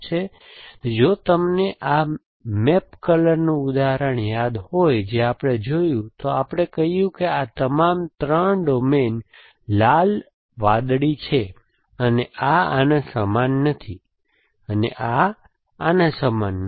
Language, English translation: Gujarati, So, if you remember this map coloring example that we saw, we said that if this is, if the domains of all 3 are red, blue and this is not equal to this, and this is not equal to this